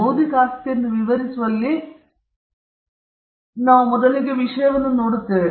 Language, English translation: Kannada, In defining intellectual property we first look at the subject matter